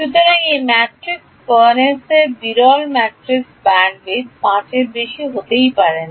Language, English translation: Bengali, So, the spareness of this matrix the bandwidth of this sparse matrix cannot exceed 5